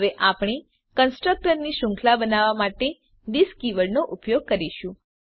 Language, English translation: Gujarati, Now we will see the use of this keywords for chaining of constructor